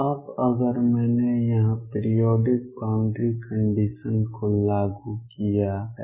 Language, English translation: Hindi, Now, if I applied the periodic boundary conditions here